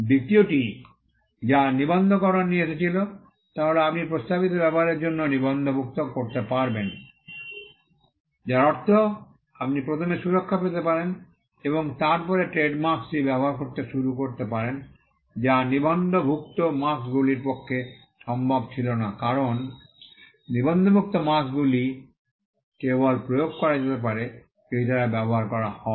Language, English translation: Bengali, The second thing that registration brought about was, you could also register for a proposed use, which means you could get the protection first and then start using the trade mark, which was not possible for unregistered marks because, unregistered marks could only be enforced, if they were used